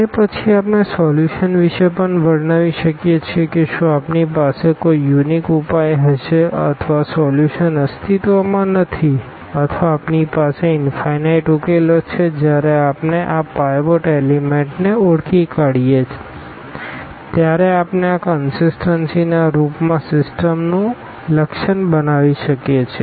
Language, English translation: Gujarati, And, then we can characterize about the solution also whether we are going to have a unique solution or the solution does not exist or we have infinitely many solutions based on once we identify these pivot elements we can characterize the system in the form of this consistency